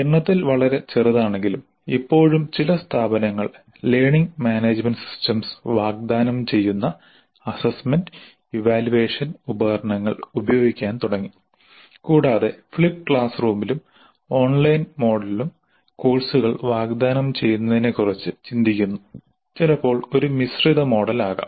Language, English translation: Malayalam, Some institutions though at present are still very small in number have started using assessment and evaluation tools offered by learning management systems and are thinking of offering courses in flipped classroom and online mode sometimes in blended mode